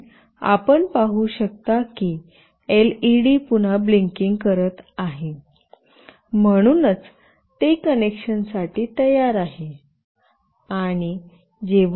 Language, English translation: Marathi, And you can see that the LED has started to blink again, so it is ready for connection